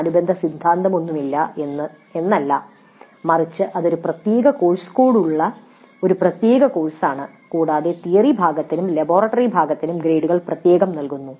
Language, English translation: Malayalam, It's not that there is no corresponding theory but it is a distinct separate course with a separate course code and grades are awarded separately for the theory part and for the laboratory part